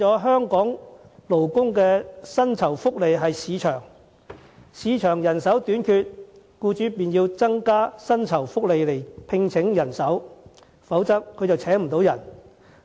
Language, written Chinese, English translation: Cantonese, 香港勞工的薪酬福利，真正取決於市場供求；市場人手短缺，僱主自然要增加薪酬福利，否則便無法招聘人手。, The remuneration and welfare received by Hong Kong workers are in fact decided by market supply and demand . If there is a shortage of manpower in market employers will naturally increase salaries and benefits or otherwise they will not be able to hire people